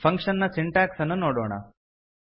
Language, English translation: Kannada, Let us see the syntax for function